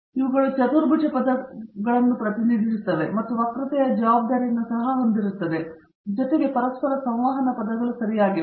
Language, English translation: Kannada, These represent the quadratic terms and also responsible for the curvature, in addition to the interaction terms okay